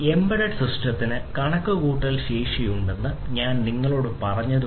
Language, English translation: Malayalam, So, as I told you that an embedded system has the computational capabilities